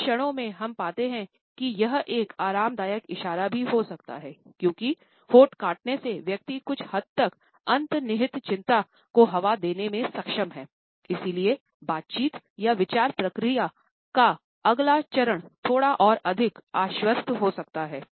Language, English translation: Hindi, At moments we find that it can be a comforting gesture also, because by biting on the lips the person is able to give vent to the underlying anxiety to a certain extent and the next phase of conversation or thought process can therefore, be slightly more confident